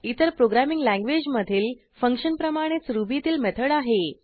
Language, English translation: Marathi, Ruby method is very similar to functions in any other programming language